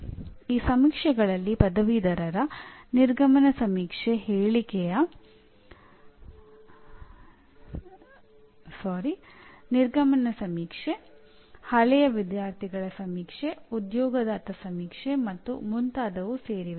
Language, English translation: Kannada, These surveys will include graduate exit survey, alumni survey, employer survey and so on